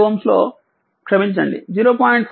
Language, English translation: Telugu, 5 ohm sorry 0